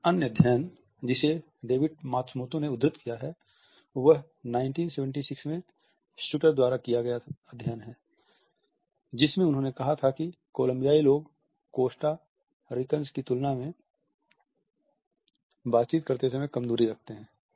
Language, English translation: Hindi, Another study which David Matsumoto has quoted is the 1976 study by Shuter in which he had said that Colombians interacted at closer distances than Costa Ricans